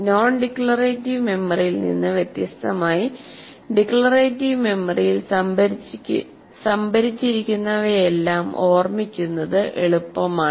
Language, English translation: Malayalam, So, whereas unlike non declarative memory, the declarative memory, it is easy to recall the whatever that is stored in the declarative memory